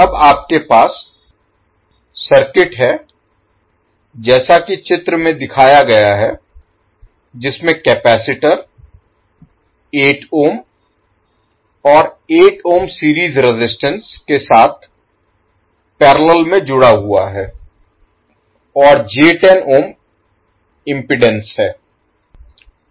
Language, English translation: Hindi, Now you have the circuit as shown in the figure in which the capacitor is connected in parallel with the series combination of 8 ohm, and 8 ohm resistance, and j 10 ohm impedance